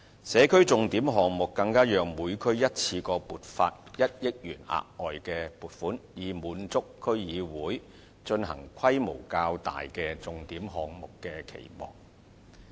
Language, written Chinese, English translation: Cantonese, 社區重點項目更讓每區一次過獲得1億元額外撥款，以滿足區議會進行規模較大的重點項目的期望。, Thanks to SPS projects each district has even been granted an additional amount of 100 million in one go thereby meeting the expectation of DCs to implement SPS projects of a larger scale